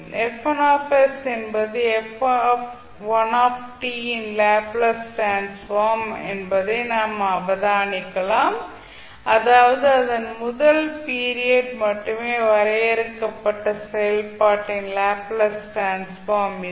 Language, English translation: Tamil, We can observe absorb that F1 s is the Laplace transform of f1 t that means it is the Laplace transform of function defined over its first period only